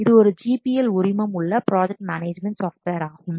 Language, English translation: Tamil, It is a GP licensed project management software